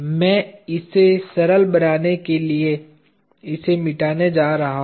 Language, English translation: Hindi, I am just going to erase it to make it simple